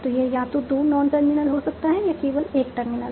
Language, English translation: Hindi, So, it can have either only two non terminals or only one terminal